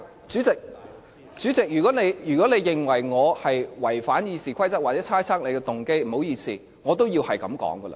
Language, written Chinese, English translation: Cantonese, 主席，如果你認為我違反《議事規則》或猜測你的動機，不好意思，我也要這樣說。, President I will not hesitate to say so even you consider my remark as breaching RoP or guessing your motive